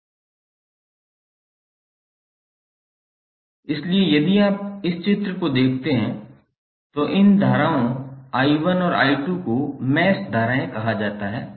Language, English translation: Hindi, So if you see in this figure, these currents I1 and I2 are called as mesh currents